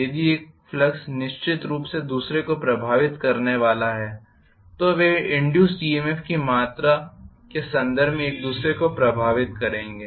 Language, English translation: Hindi, If one flux is going to influence the other one definitely they will be influencing each other in terms of what is the amount of induced EMF